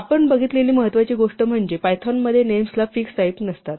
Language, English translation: Marathi, The important thing that we said was that in python the names themselves do not have a fixed type